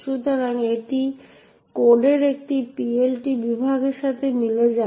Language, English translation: Bengali, So, this corresponds to a PLT section in the code